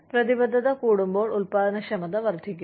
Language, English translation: Malayalam, When the commitment goes up, the productivity increases